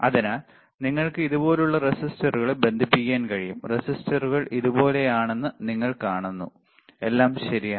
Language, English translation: Malayalam, But so, you can connect resistors like this, you see resistors are like this, all right